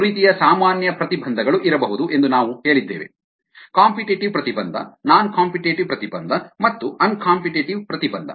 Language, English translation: Kannada, we said that there could be three kinds of common inhibitions: competitive inhibition, non competitive inhibition and non competitive inhibition